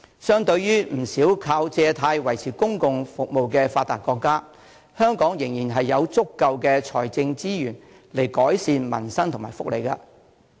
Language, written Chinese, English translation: Cantonese, 相對於不少靠借貸維持公共服務的發達國家，香港仍然有足夠的財政資源來改善民生和福利。, But unlike many developed countries which must depend on borrowing as means of maintaining their public services Hong Kong still possesses sufficient financial resources to improve peoples livelihood and welfare benefits